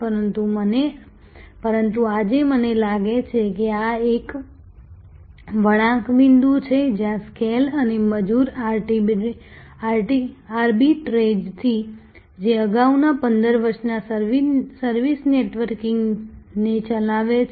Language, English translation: Gujarati, But, today I think this is the inflection point, where from scale and labor arbitrage, which drove the previous 15 years of service networking